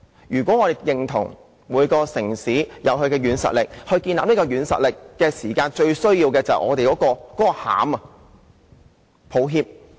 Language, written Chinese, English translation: Cantonese, 如果我們認同每個城市也應有其軟實力，而建立軟實力最需要的是"內涵"的話，那我只能說：抱歉！, If we agree that every city should have its own soft power and that soft power needs to have real substance I can but say sorry